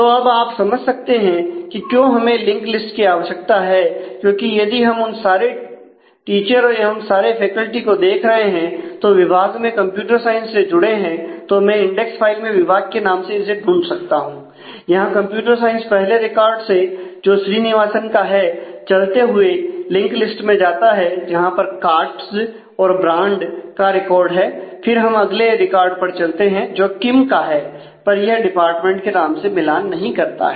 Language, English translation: Hindi, So, now you can understand why we need the link list; because if we are looking for the all those teachers all those faculty who are associated with department computer science, then I can find it on the index file with the department name, computer science traveled to the record first record in that which is of Srinivasan and then keep going on this list through the linked list that we have on write and find the record for Katz and record for Brandt and till we moved to the next record for Kim which does not match the department name anymore